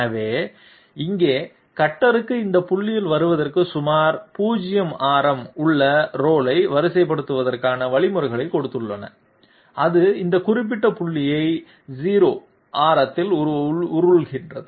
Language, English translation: Tamil, So here the cutter is given an instructions to sort of roll about a 0 radius to come to this point, it rolls about this particular point in a radius of 0